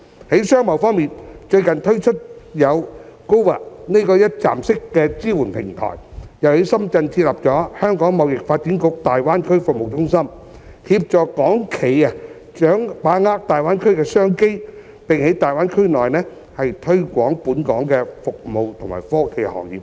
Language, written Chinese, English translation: Cantonese, 在商貿方面，最近推出的有 "GoGBA" 這個一站式的支援平台，又在深圳設立了香港貿易發展局大灣區服務中心，協助港企把握大灣區的商機，並在大灣區內推廣本港服務和科技行業等。, In the case of commerce and trade it rolled out a one - stop support platform called GoGBA recently together with the setting up of the Hong Kong Trade Development Council Greater Bay Area Centre in Shenzhen as a means to assist Hong Kong enterprises in grasping business opportunities and promote Hong Kongs service and technology industries in the Greater Bay Area